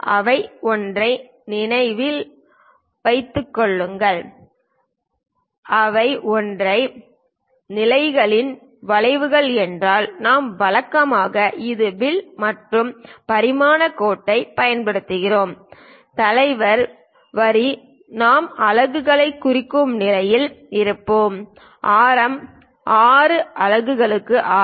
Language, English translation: Tamil, If those are arcs at single positions, we usually this is the arc and using dimension line, leader line we will be in a position to represent the units; R for radius 6 units of that